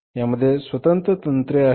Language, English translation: Marathi, It has its own techniques